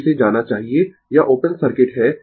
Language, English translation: Hindi, So, this should be gone this is open circuit